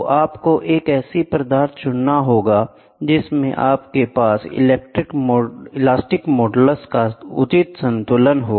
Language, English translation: Hindi, So, you have to choose a material where and which you have a proper balance of elastic modulus